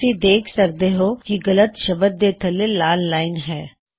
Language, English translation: Punjabi, You see that a red line appears just below the incorrect word